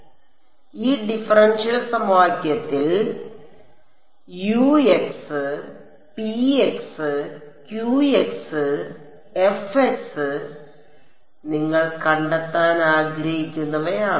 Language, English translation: Malayalam, So, I know that the differential equation is this